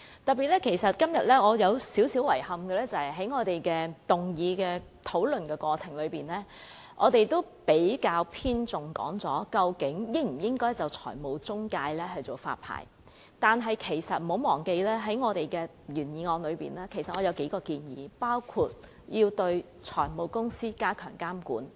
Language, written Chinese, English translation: Cantonese, 可是，今天我仍感到有點遺憾，就是在整個議案辯論過程中，我們較為偏重討論應否就財務中介推行發牌制度，但請大家不要忘記，在我的原議案中仍有數項建議，其中包括對財務公司加強監管。, Yet I consider it a pity that in the entire course of the motion debate today our discussion has been focused on whether or not a licensing regime for financial intermediaries should be established . Members should not forget that I have included a number of proposals in my original motion including stepping up the regulation of finance companies